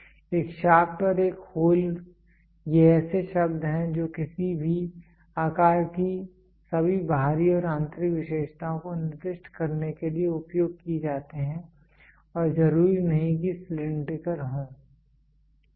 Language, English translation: Hindi, A shaft and a hole these are terms which are used to designate all the external and internal features of any shape and not necessarily cylindrical, ok